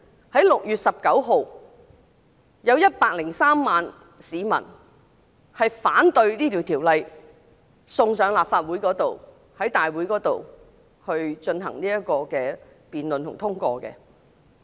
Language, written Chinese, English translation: Cantonese, 在6月9日有103萬市民上街，反對將該條例草案直接提交上立法會大會準備通過。, On 9 June 1.03 million people took to the streets to protest against the bill being directly submitted to the Legislative Council for passage